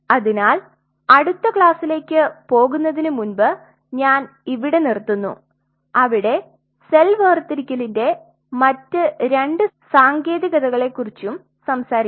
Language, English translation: Malayalam, So, I will close in here before I move on to the next class where we will talk about the other couple of techniques of cell separation